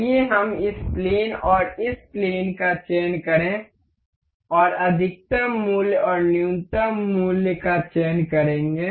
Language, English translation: Hindi, Let us just select this plane and this plane and will select a maximum value and a minimum value